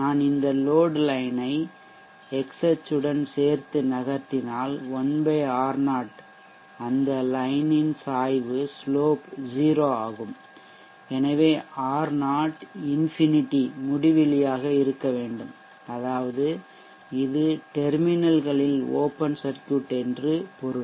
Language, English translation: Tamil, V which is 1/R0 so if I move this load line along such that it is along the x axis like this then 1/R0 the slope of that line is 0 therefore R0 has to be infinity so which means that this is open circuit across the terminals